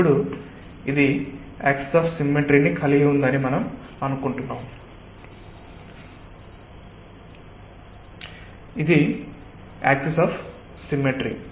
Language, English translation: Telugu, now this we are assuming that this is having an axis of symmetry say this, the axis of symmetry